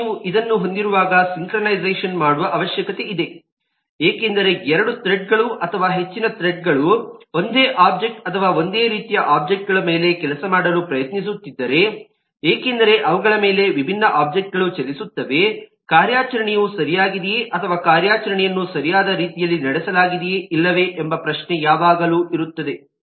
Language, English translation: Kannada, and whenever you have that, there is a need for synchronization, because if two threads or more threads are trying to work on the same objects or the same set of objects because there are different objects running on them, then there is always a question of issue of whether the operation will be correct, whether the operation is performed in the right way or not